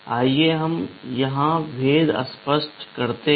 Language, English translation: Hindi, Let us make the distinction clear here